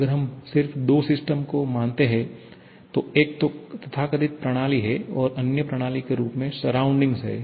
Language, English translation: Hindi, If we consider to have just two systems, one is that so called system, other is the surrounding